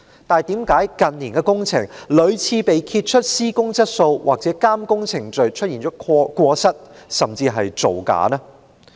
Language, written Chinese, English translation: Cantonese, 但為何近年的工程屢次被揭發施工質素或監工程序出現過失，甚至造假？, Yet why were there exposures after exposures of failings―even falsification―in respect of building quality or monitoring procedures in the works in recent years?